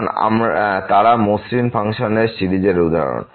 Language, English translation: Bengali, Because they are examples of smooth function series